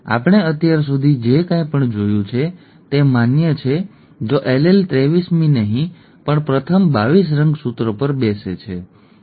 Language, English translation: Gujarati, Whatever we have seen so far is valid if the allele sits on the first 22 chromosomes, not the 23rd